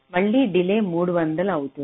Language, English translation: Telugu, again, delays three hundred